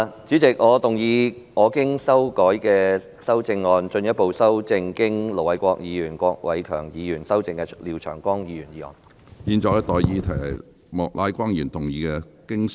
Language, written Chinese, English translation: Cantonese, 主席，我動議我經修改的修正案，進一步修正經盧偉國議員及郭偉强議員修正的廖長江議員議案。, President I move that Mr Martin LIAOs motion as amended by Ir Dr LO Wai - kwok and Mr KWOK Wai - keung be further amended by my revised amendment